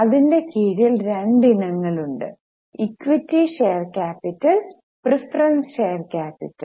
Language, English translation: Malayalam, Under that there are two items, equity share capital and preference share capital